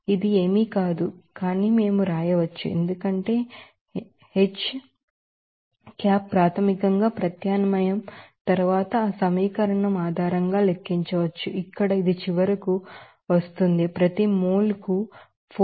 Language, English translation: Telugu, This is nothing but we had we can write as H hat is basically after substitution can be calculated based on that equation here it will come finally, 4102